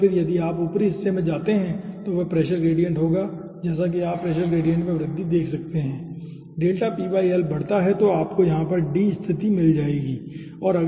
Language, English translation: Hindi, and then if you go in the upper side, that will be pressure gradient, that you can see the pressure gradient increase, delta p by l increases